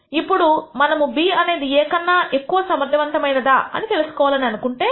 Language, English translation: Telugu, Now, we want to know whether method B is more effective than method A